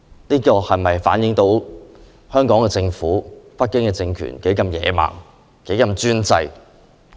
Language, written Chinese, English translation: Cantonese, 這是否反映出特區政府和北京政權的野蠻專制？, Or does it reflect the barbaric and autocratic attitude of the SAR Government and the Beijing regime?